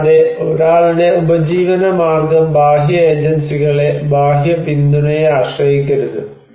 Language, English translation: Malayalam, Also, someone's livelihood should not depend on external agencies, external support